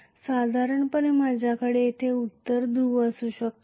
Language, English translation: Marathi, Normally I may have a north pole here